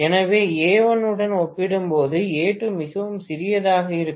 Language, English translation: Tamil, So, A2 is going to be much smaller as compared to A1